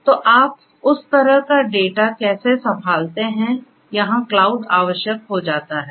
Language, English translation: Hindi, So, how do you handle that kind of data; that is where this cloud becomes necessary